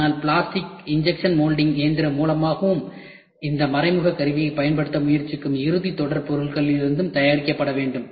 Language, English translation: Tamil, But need to be made by plastic injection molding machine and from the final series material for which we try to use this indirect tooling